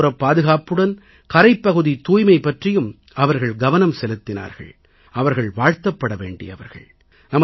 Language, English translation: Tamil, Along with coastal security, they displayed concern towards coastal cleanliness and deserve accolades for their act